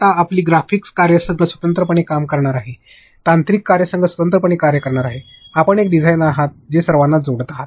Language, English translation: Marathi, Now, your graphic team is going to work separately, the technical team is going to work separately; you are a designer who is linking everybody